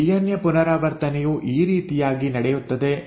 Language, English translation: Kannada, So this is how DNA replication takes place